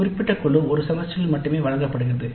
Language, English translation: Tamil, One particular group is offered during one semester only